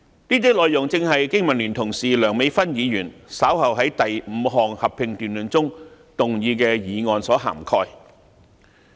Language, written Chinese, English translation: Cantonese, 這些內容正是我的香港經濟民生聯盟同事梁美芬議員稍後會在第五項合併辯論中動議的議案所涵蓋。, These are the contents of the motion which my colleague Dr Priscilla LEUNG of the Business and Professionals Alliance for Hong Kong will propose later in the fifth joint debate